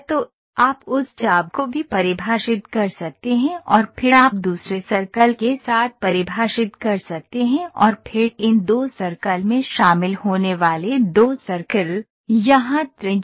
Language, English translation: Hindi, so, you can also define that arc and then you can also define with the other circles and then 2 circles joining these 2 circles, here radius